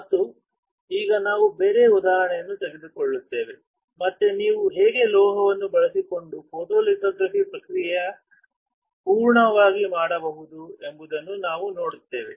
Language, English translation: Kannada, And now we will take a different example and we will see how can you do a complete process of photolithography using a metal